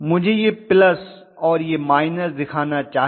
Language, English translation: Hindi, I should show this is plus and this is minus and I have to show this is plus and this is minus clearly